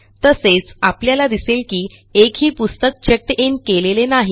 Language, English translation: Marathi, Also notice that none of the books are checked in